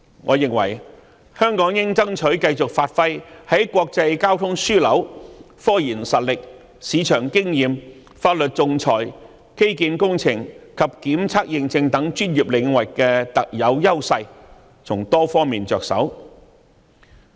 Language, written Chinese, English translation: Cantonese, 我認為香港應爭取繼續發揮在國際交通樞紐、科研實力、市場經驗、法律仲裁、基建工程及檢測認證等專業領域的特有優勢，從多方面着手。, I think Hong Kong should strive to continuously leverage our unique advantages in professional aspects such as its role as an international transport hub strengths in scientific research market experiences law and arbitration infrastructure testing and certification and so on to take forward initiatives on various fronts